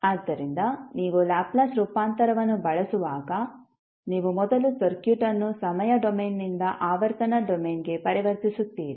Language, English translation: Kannada, So, when you use the Laplace transform you will first convert the circuit from time domain to frequency domain